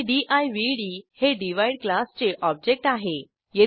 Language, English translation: Marathi, And divd object of class Divide